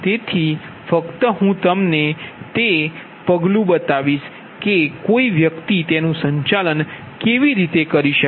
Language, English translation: Gujarati, so just i will show you the step, how one can manage it, right